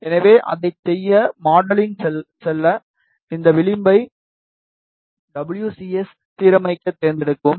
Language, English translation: Tamil, So, to do that just go to modeling, select this edge align WCS